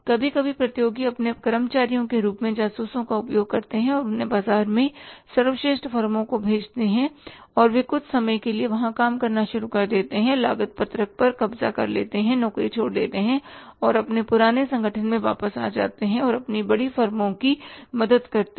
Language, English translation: Hindi, Sometime the competitors use the spies who are sent to the best firms in the market as their employees and they start working there for some period of time, take say the possession of the cost sheet, leave the job, come back to their older organization and help their older forms